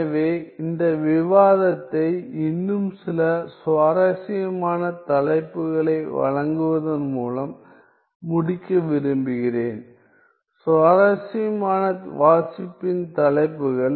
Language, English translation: Tamil, So, I want to end this discussion by providing few more topics, topics of interesting well; topics of interesting reading